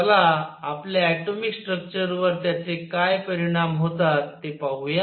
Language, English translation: Marathi, Let us see what are its is implications for our atomic structure